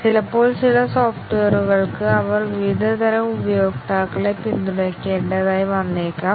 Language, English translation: Malayalam, Sometimes for some software, it may be required that they support various types of users